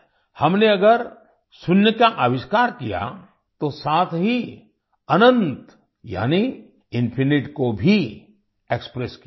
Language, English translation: Hindi, If we invented zero, we have also expressed infinityas well